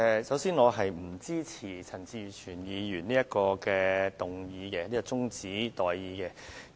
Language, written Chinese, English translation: Cantonese, 首先，我不支持陳志全議員提出的中止待續議案。, First of all I do not support the adjournment motion moved by Mr CHAN Chi - chuen